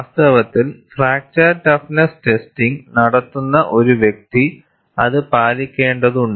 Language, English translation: Malayalam, And, in fact, a person performing the fracture toughness testing has to adhere to that